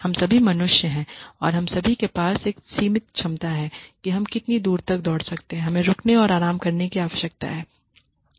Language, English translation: Hindi, We are all human beings and we all have a limited capacity for how far we can run we need to stop and take rest